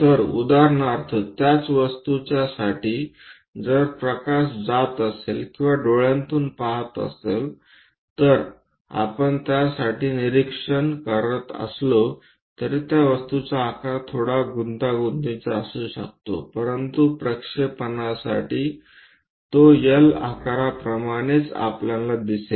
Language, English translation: Marathi, So, for example, for the same object if light is passing or through the eye if we are observing for this, though the object might be slightly having complicated shape, but we will see only like that L shape for the projection